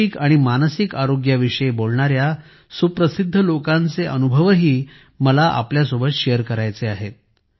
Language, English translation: Marathi, I also want to share with you the experiences of wellknown people who talk about physical and mental health